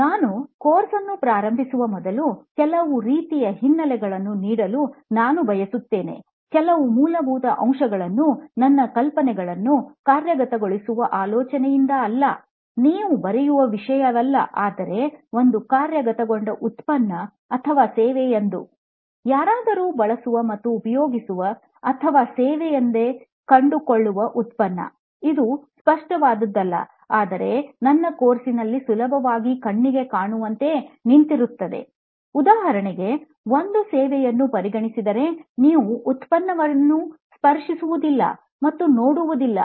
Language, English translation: Kannada, I wish to set some kind of background before I start the course, some basics that I want to cover is that when ideas are implemented not as a thought, not as a something you just write down, but something that is implemented, leads to a product or a service, a product which somebody uses and finds it useful or a service, not a tangible one, but stands for like my course, for example is considered a service because you do not see a product that you can touch and feel